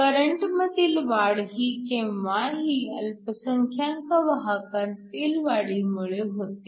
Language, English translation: Marathi, So, the increase in current is always due to the increase in the minority carriers